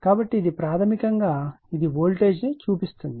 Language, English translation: Telugu, So, it , basically, it is sees the voltage